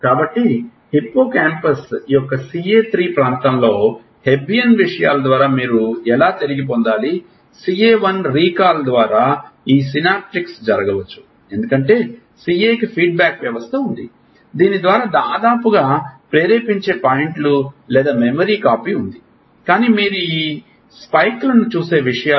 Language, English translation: Telugu, So, theta how to how do you retrieve in CA3 area of hippocampus through hebbian things this synaptics through CA1 recall may happen because CA has a feedback system through almost has a triggering points or copy of the memory, but these things which you see these spikes